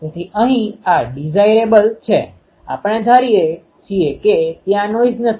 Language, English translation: Gujarati, So, this is desirable here we are assuming that noise is not there